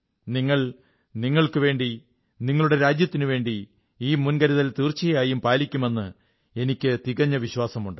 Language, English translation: Malayalam, I am sure that you will take these precautions for yourself, your loved ones and for your country